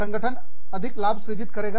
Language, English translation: Hindi, Organization makes, more profit